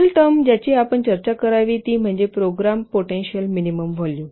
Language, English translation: Marathi, Next term that we have to discuss its program potential minimum volume